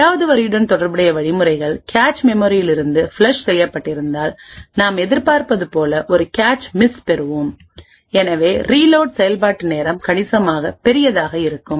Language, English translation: Tamil, And as we would expect since the instructions corresponding to line 8 has been flushed from the cache, we would obtain a cache miss and therefore the execution time to reload would be considerably large